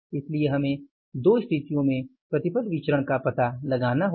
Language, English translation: Hindi, So, we have to find out the yield variance in the two situations